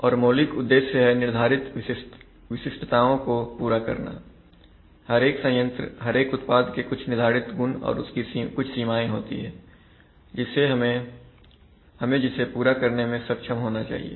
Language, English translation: Hindi, And the basic objectives is to meet specifications as stated, every plant, every product has a stated, has some stated properties and their limits, so we should be able to meet them, if we have a violation of that